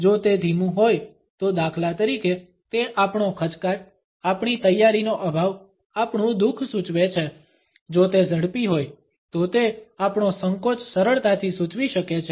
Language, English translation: Gujarati, If it is slow then it suggest our hesitation, our lack of preparedness, our sorrow for instance, if it is fast it can easily indicate our hesitation